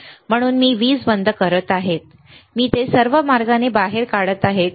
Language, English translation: Marathi, So, I am switching off the power, I am taking it out all the way, right